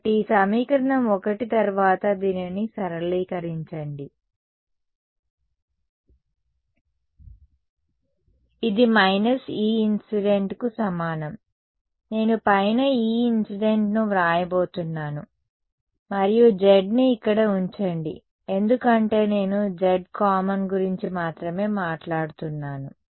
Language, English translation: Telugu, So, this equation 1 then get simplified in to this is equal to minus E incident right I am going to write E incident on top and put a z over here because I am only talking about the z common